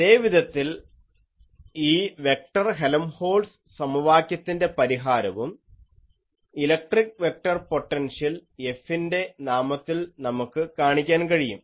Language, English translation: Malayalam, In a similar fashion, we can show that the solution of this vector Helmholtz equation in terms of electric vector potential F